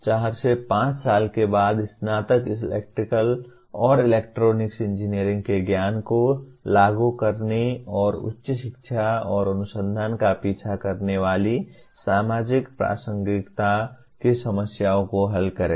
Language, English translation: Hindi, The graduates, graduates after four to five years will be solving problems of social relevance applying the knowledge of Electrical and Electronics Engineering and or pursue higher education and research